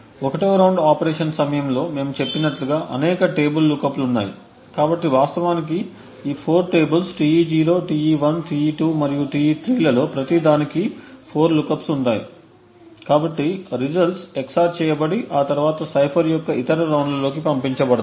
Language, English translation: Telugu, During the 1st round operation as we had mentioned there are several table lookups, so in fact each of these 4 tables Te0, Te1, Te2 and Te3 would have 4 lookups each, so the results are XOR and then passed on the other rounds of the cipher, so the remaining part of cipher from this cache timing attack perspective is not very important for us